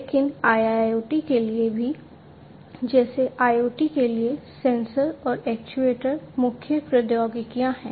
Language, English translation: Hindi, But for IIoT as well, like IoT sensors and actuators are the core technologies